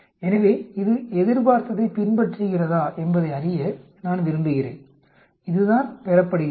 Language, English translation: Tamil, So, I want to know whether it follows the expected, this is what is observed